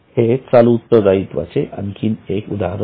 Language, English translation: Marathi, It is one more example of current liability